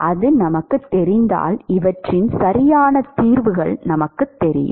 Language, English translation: Tamil, If we know that, we know exact solutions of these